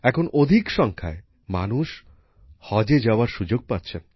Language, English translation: Bengali, Now, more and more people are getting the chance to go for 'Haj'